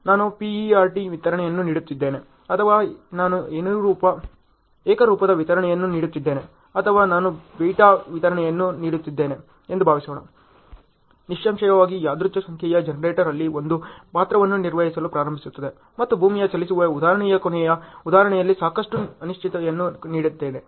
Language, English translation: Kannada, Suppose if I am giving a PERT distribution or I am giving a uniform distribution or I am giving a beta distribution then; obviously, the random number generator starts playing a role there ok, and in the example last example on earth moving example I gave so much of uncertainties there